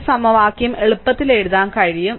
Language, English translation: Malayalam, So, you can easily write this equation